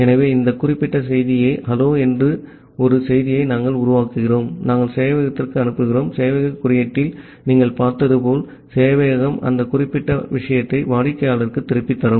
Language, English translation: Tamil, So, we are creating a message called hello there this particular message, we are sending to the server and as you have seen in the server code that the server will actually go back that particular thing to the client